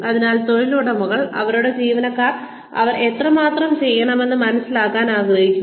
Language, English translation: Malayalam, So, employers want their employees to understand, how much they need to do